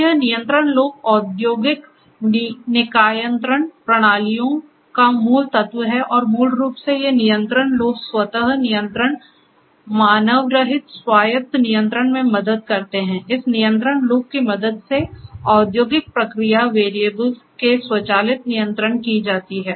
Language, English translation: Hindi, So, this control loop is the fundamental element of industrial control systems and this basically these control loops help in automatic control, unmanned autonomous control, automatic control of industrial process variables is offered with the help of this control loop